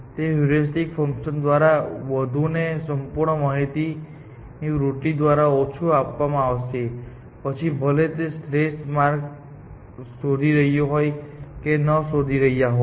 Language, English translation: Gujarati, It will be given more by the heuristic function and less by the tendency to keep track of, whether you are finding optimal paths or not